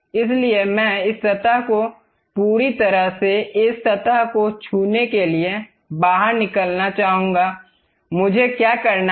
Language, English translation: Hindi, So, I would like to have a extrude of this object entirely touching this surface; to do that what I have to do